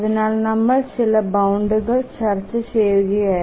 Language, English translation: Malayalam, For that we were discussing some bounds